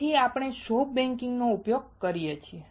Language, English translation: Gujarati, That is why we use soft baking